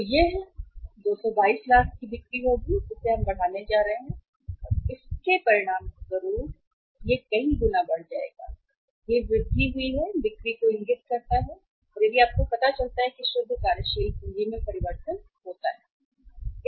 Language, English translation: Hindi, So it will be 222 lakhs of the sales we are going to increase and as a result of this multiplied by 22 point this increased sales if you find it out then changes in the net working capital